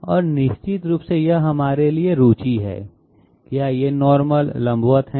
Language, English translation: Hindi, And of course this is of interest to us, are these normals vertical